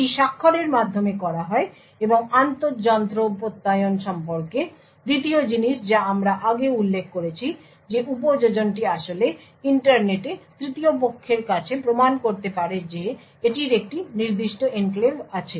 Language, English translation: Bengali, So, this is done by the signatures and the second thing about the inter machine Attestation whereas we mention before the application could actually prove to a third party over the internet that it has a specific enclave